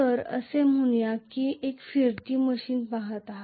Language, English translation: Marathi, So let us say I am looking at a rotating machine